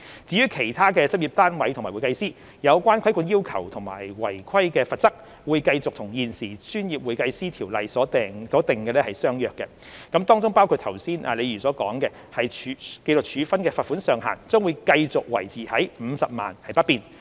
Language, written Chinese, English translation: Cantonese, 至於其他執業單位和會計師，有關規管要求和違規罰則會繼續與現時《專業會計師條例》所訂者相若，當中包括剛才李議員所說的，紀律處分的罰款上限將繼續維持於50萬元不變。, For other practice units and CPAs the regulatory requirements and penalties for non - compliance will remain comparable to those currently provided in the Professional Accountants Ordinance including as mentioned by Ms LEE just now the pecuniary penalty for disciplinary sanctions which will continue to be capped at 500,000